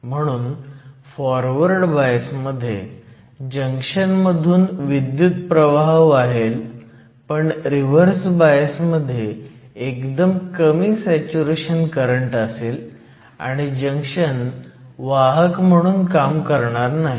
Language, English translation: Marathi, So, that in the case of forward bias, the junction will conduct, but when we apply a reverse bias there is a small saturation current, but the junction does not conduct